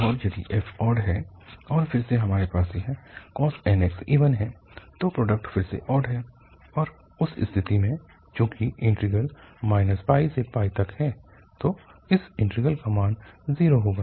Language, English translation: Hindi, And if f is odd, so if f is odd and then we have even, so the product is again odd and in that case, since the integral is minus pi to pi, then this will be 0